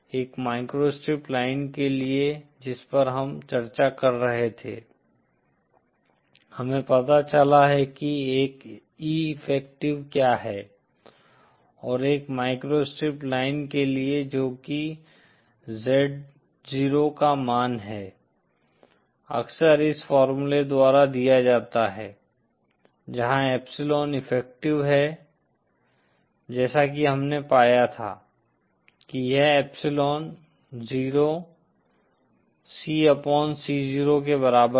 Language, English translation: Hindi, For a microstrip line that we were discussing we have found out what is an E effective and for a microstrip line that is the value of Z 0 is often given by this formula where epsilon effective as we found was equal to epsilon 0 C upon C 0